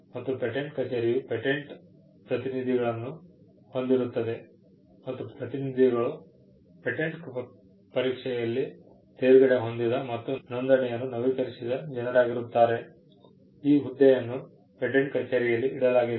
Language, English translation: Kannada, There are patent office keeps a role of the patent agent; people who have cleared the exam and who renew their registration; the role is kept at by the patent office